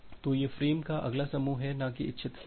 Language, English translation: Hindi, So, this is the next group of frames not the intended frames